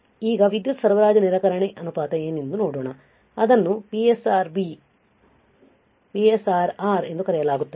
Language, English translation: Kannada, Now, let us see what is power supply rejection ratio, it is called PSRR